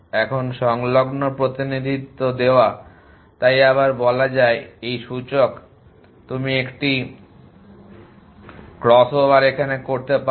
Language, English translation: Bengali, Now, given the adjacency representation so again of will it as this is the index can you thing of a crossover